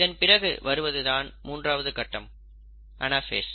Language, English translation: Tamil, Then comes the third step which is the anaphase